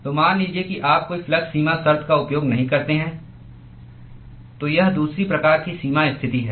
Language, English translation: Hindi, So, supposing if you use no flux boundary condition: so, that is the second type of boundary condition